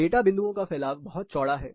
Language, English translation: Hindi, This is how the spread of data points is